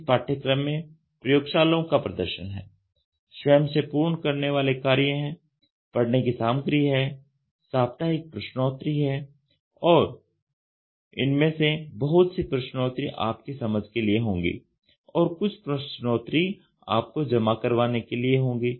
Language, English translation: Hindi, This course is reinforced with lab demonstration self completion tasks, reading material and weekly quiz and many of the quizzes will be for your understanding and some quizzes can be for you for submission